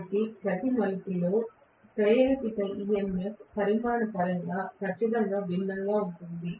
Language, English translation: Telugu, So there will be definitely different in terms of the induced EMF quantity in each of these turns